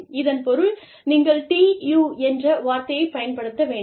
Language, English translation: Tamil, And, this means that, you do not use the word, TU